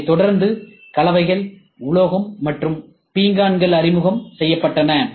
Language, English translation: Tamil, Subsequently, there has been introduction of composites, metal, and ceramics